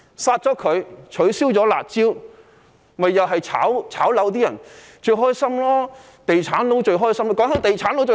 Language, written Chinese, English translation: Cantonese, 刪除開支、取消"辣招"，只會讓"炒樓"的人高興，"地產佬"最高興。, Is there anything wrong with this? . Deletion of such expenditure and abolition of the curb measures will only make property speculators happy while the real estate blokes will be the happiest